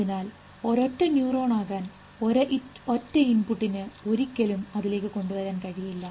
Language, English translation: Malayalam, So, for that to become a single neuron can, a single input can never bring it to it